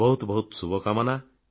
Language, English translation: Odia, Best wishes to you